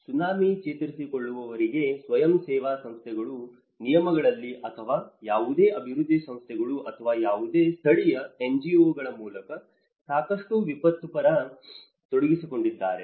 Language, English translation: Kannada, Until the Tsunami recovery, there has been a lot of professionals get involved either in the terms of voluntary organizations or through any development agencies or any local NGOs